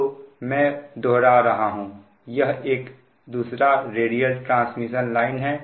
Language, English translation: Hindi, you have another radial transmission line here